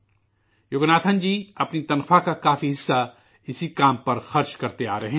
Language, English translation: Urdu, Yoganathanji has been spending a big chunk of his salary towards this work